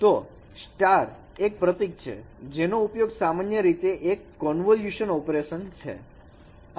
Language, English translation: Gujarati, So this is a symbol which is usually used for convolution operation